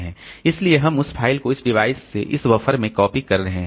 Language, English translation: Hindi, So, we are copying this file from this device into this buffer